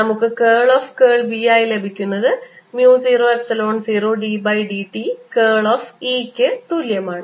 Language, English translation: Malayalam, we get curl of curl of b is equal to mu zero, epsilon zero, d by d t of curl of e